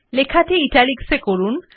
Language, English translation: Bengali, Make the text Italics